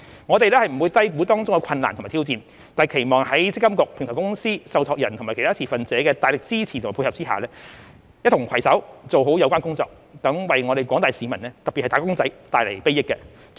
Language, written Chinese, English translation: Cantonese, 我們不會低估當中的困難及挑戰，但期望在積金局、平台公司、受託人及其他持份者的大力支持及配合下，一同攜手做好有關工作，為廣大市民特別是"打工仔"帶來禆益。, We will not underestimate the difficulties and challenges involved but we hope that with the support and cooperation of MPFA the Platform Company the trustees and other stakeholders we can do a good job together and bring benefits to the general public especially the wage earners